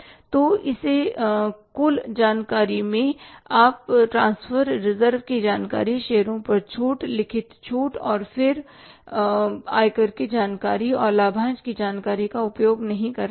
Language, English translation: Hindi, So, in this total information you will not be making use of the transport reserves information, discount on shares, written off and then the income tax information and the dividend information